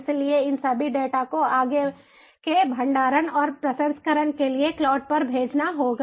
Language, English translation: Hindi, so all these data would have to be sent to the cloud for further storage and processing